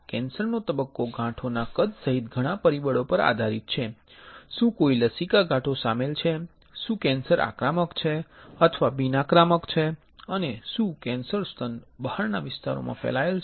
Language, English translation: Gujarati, The cancer stage is based on several factors including the size of the tumor if any lymph nodes are involved, if the cancer is invasive or non invasive and if cancer has spread to areas beyond the breast